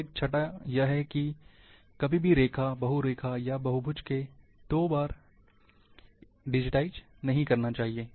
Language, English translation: Hindi, So, remember never digitize a line, or polyline, polygon twice